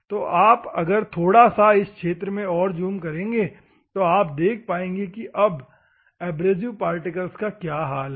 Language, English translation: Hindi, So, if you still zoom out from this region, see how abrasive particles are there